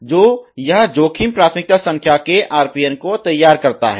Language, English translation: Hindi, So, this formulate RPN of the risk priority numbers